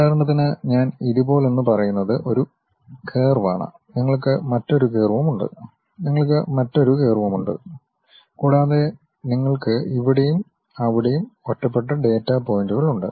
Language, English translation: Malayalam, For example, like if I am saying something like this is one curve, you have another curve, you have another curve and you have isolated data points here and there